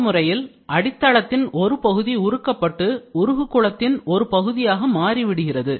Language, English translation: Tamil, In this way a portion of the substrate material is melted and becomes a part of the melt pool